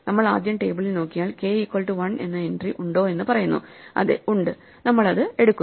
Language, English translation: Malayalam, We first look in the table and say is there an entry for k equal to 1, yes there is and so we pick it up